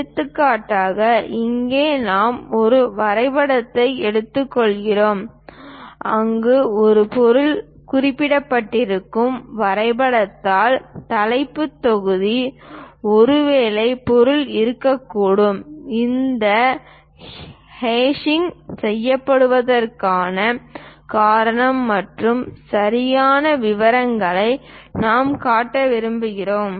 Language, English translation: Tamil, For example, here we are taking a drawing an example drawing sheet where an object is mentioned, the title block perhaps material is present there that is the reason this hashing is done and the intricate details we would like to show